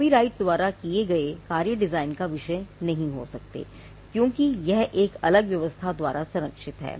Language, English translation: Hindi, Copyrighted works cannot be a subject matter of design right, because it is protected by a different regime